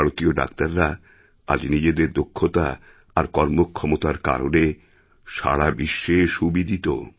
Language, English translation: Bengali, Indian doctors have carved a niche for themselves in the entire world through their capabilities and skills